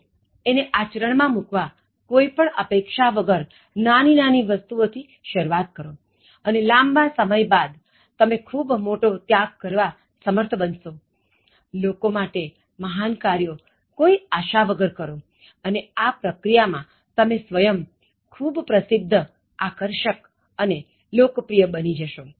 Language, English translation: Gujarati, So, to practice that, so start doing small things without any expectations and in the long run you will be able to make huge sacrifices, do great things for other people without expectations and in the process, you will also become very popular and attractive and liked by many people